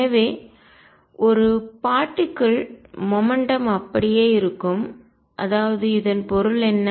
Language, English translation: Tamil, And therefore, momentum of a particle is conserved; that means, what is it mean